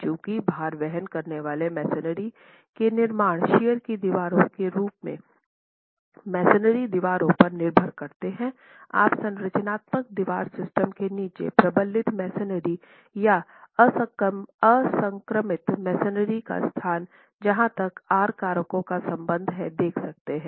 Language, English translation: Hindi, Since load bearing masonry constructions depend on masonry walls as shear walls, you have the location of reinforced masonry or unreinforced masonry under structural wall systems as far as the R factors are concerned